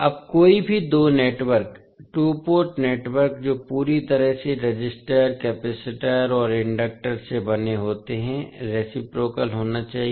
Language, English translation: Hindi, Now any two network, two port network that is made entirely of resistors, capacitors and inductor must be reciprocal